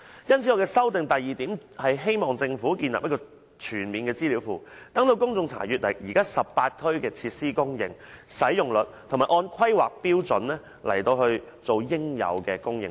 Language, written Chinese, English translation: Cantonese, 因此，我修正案的第二項，是希望政府建立一個全面的資料庫，讓公眾查詢現時18區的設施供應和使用率，以及按《規劃標準》來提供應有的供應量。, Hence I propose in Part 2 of my amendment that the Government should establish a comprehensive database so that the public can check the availability and usage rate of these facilities in 18 districts and that the Government can supply the correct quantities of facilities based on HKPSG